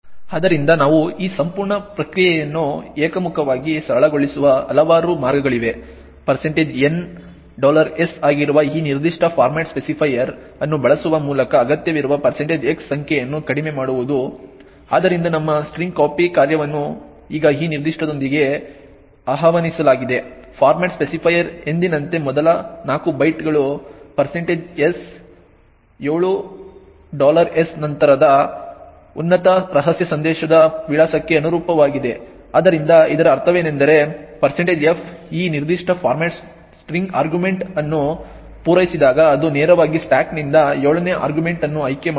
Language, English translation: Kannada, So there are several ways by which we can simplify this entire process one way is to reduce the number of % x that is required by using this particular format specifier that is % N $s, so our string copy function is now invoked with this particular format specifier as usual the first 4 bytes corresponds to the address of the top secret message followed by % 7$s, so what this means is that when printf services this particular format string argument it would directly pick the 7th argument from the stack